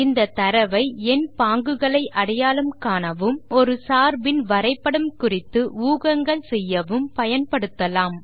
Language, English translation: Tamil, Use the data to recognize number patterns and make predictions about a function graph